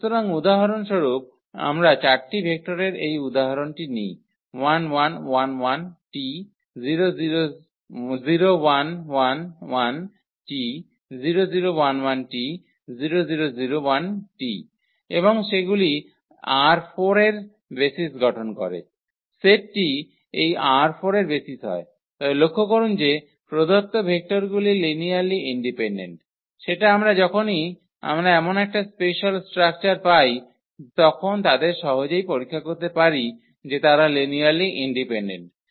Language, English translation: Bengali, So, for instance we take this example of 4 vectors and they forms the basis of R 4 the set this forms a basis of R 4, while note that the give vectors are linearly independent that we can easily check they are linearly independent whenever we have such a special structure